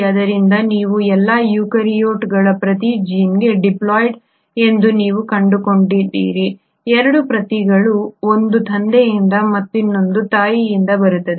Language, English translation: Kannada, So you find that all the eukaryotes are diploid for every gene you have 2 copies one coming from the father and the other coming from the mother